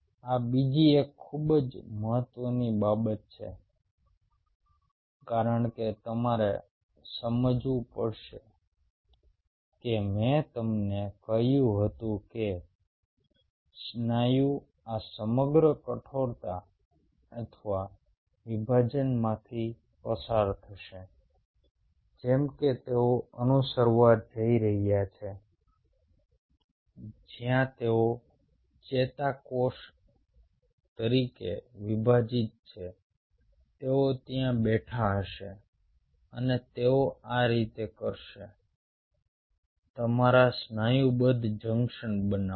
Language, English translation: Gujarati, this is another very important thing, because you have to realize, i told you that the muscle will go through this whole rigor or division, like this is the paradigm they are going to follow, where, as neurons they own divide